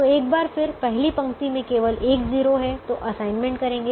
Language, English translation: Hindi, so the first row has two zeros, so we don't make an assignment